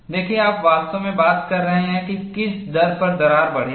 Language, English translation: Hindi, See, you are really talking about, at what rate the crack would grow